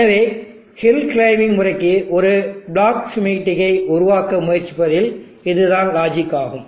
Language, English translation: Tamil, So this is the logic that we will use in trying to build a block schematic for the hill climbing method